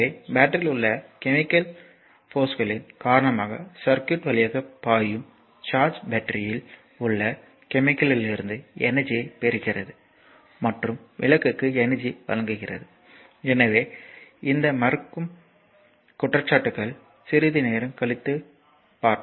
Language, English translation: Tamil, So, will flow through the circuit due to the chemical forces in the battery the charge gains energy from chemicals in the battery and delivers energy to the lamp right; So, these negating charge I will come to little bit later